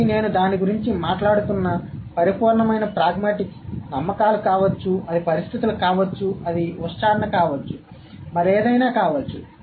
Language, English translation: Telugu, So pure pragmatics, which I was talking about, it might be beliefs, it might be situations, it might be utterance, it might be anything else